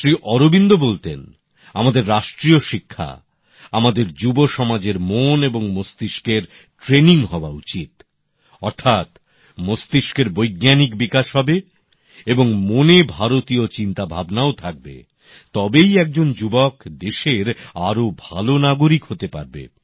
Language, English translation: Bengali, Sri Aurobindo used to say that our national education should focus on training of the hearts and minds of our younger generation, that is, scientific development of the mind and Indian ethos residein the heart should also be there, then only a young person can become a better citizen of the country